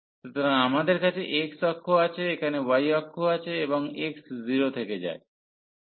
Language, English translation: Bengali, So, we have the x axis we have here y axis and x goes from 0